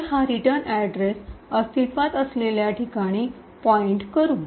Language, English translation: Marathi, So, that it points to the where the return address is present